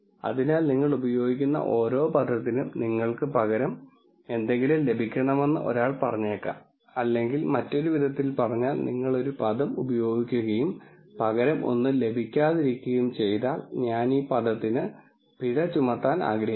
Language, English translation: Malayalam, So, one might say that for every term that you use, you should get something in return or in other words if you use a term and get nothing in return I want to penalize this term